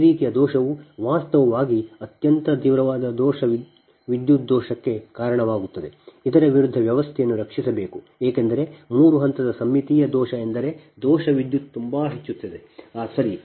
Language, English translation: Kannada, this type of fault actually gene leads to most severe fault current flow against which the system must be protected, because three phase symmetrical fault means the fault current will be too high, right